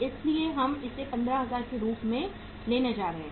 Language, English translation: Hindi, So we are going to take it as 15,000